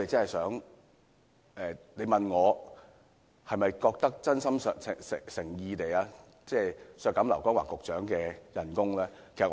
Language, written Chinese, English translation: Cantonese, 如果要問我，是否真心誠意地希望削減劉江華局長的薪酬呢？, Honestly do I really want to deduct the salaries of Secretary LAU Kong - wah?